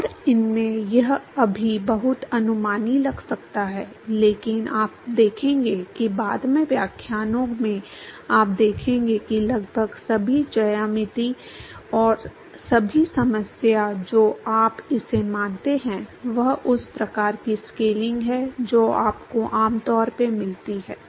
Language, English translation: Hindi, And in this it may appear very heuristic right now, but you will see that in the subsequent lectures that almost all the geometries and all the problem you consider this is the kind of scaling that you would usually get